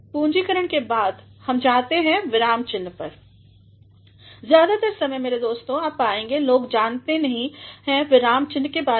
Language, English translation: Hindi, After capitalization we move on to punctuation, most of the time my dear friends you will find people are not aware of punctuations